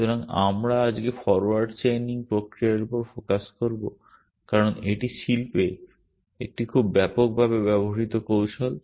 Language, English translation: Bengali, So, we will be focusing today on forward chaining mechanism because it is a very widely used technique in the industry